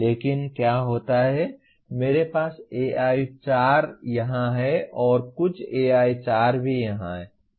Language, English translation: Hindi, But what happens is I have AI4 here and some AI4 also here